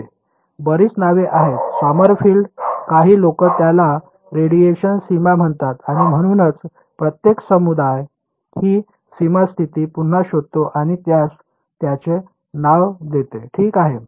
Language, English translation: Marathi, Yeah, there are many names Sommerfeld some people call it radiation boundary and so, on, Every community rediscovers this boundary condition and gives their name to it ok